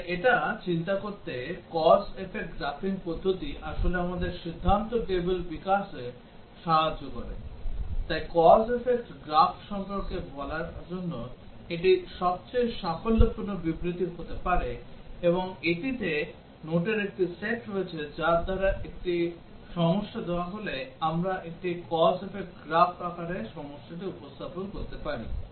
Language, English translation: Bengali, So to think of it, the cause effect graphing method actually helps us to develop the decision table, so that may be the most succint statement to tell about cause effect graph it has a set of notations by which given a problem we can represent the problem in the form of a cause effect graph